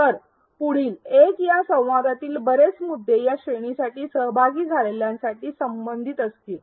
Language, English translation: Marathi, So, a lot of the points in this learning dialogue in the next one will be relevant for these categories of participants